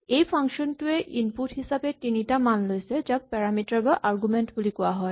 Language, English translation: Assamese, Then it says that this function takes three values as inputs, so these are called parameters or arguments